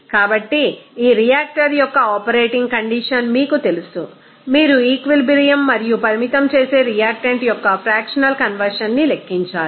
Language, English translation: Telugu, So, in this you know operating condition of this reactor you have to calculate the equilibrium composition and fractional conversion of the limiting reactant